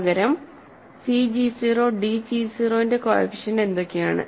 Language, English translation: Malayalam, What are the coefficients of c g 0, d 0 rather